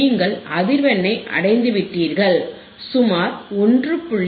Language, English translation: Tamil, You can show the where you have reached the frequency, about place 1